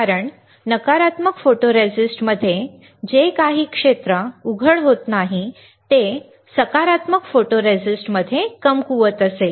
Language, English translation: Marathi, Because in negative photoresist, whatever area is not exposed will be weaker in positive photoresist